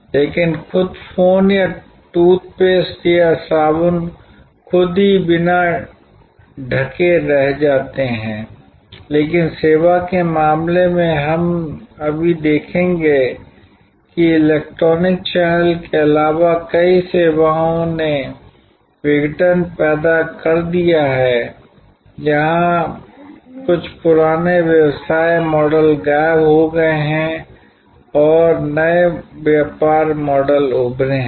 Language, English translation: Hindi, But, the phone itself or the toothpaste itself or the soap itself remains unaltered, but in case of service we will just now see that is addition of electronic channel has transformed many services has created disruption, where some old business models have disappeared and new business models have emerged